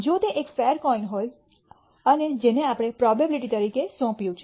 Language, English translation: Gujarati, 5, if it is a fair coin and that is what we have assigned as probabilities